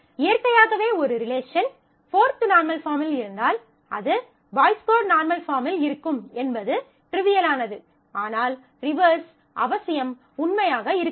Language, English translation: Tamil, Naturally, if a relation is in 4th normal form, it is trivial that it will be in the Boyce Codd normal form, but the reverse will not be necessarily true